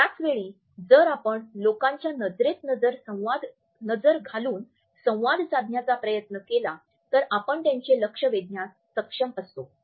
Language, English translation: Marathi, At the same time if we look into the eyes of the people and try to hold a dialogue, then we are also able to hold their attention